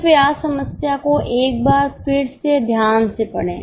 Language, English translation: Hindi, Please read the problem once again carefully